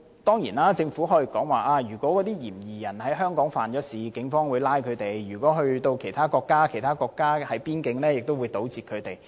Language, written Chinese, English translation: Cantonese, 當然，政府可以說，如果嫌疑人在香港犯案，警方會拘捕他；如果他前往其他國家，其他國家會在邊境搗截他。, Certainly the Government can say that if the suspect commits a crime in Hong Kong the Police will apprehend him; and if he travels to another country he will be intercepted at the border by that country